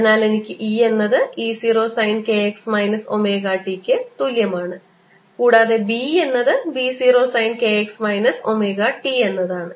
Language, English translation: Malayalam, so i have: e is equal to e zero sine of k x minus omega t and b equals b zero sine of k x minus omega t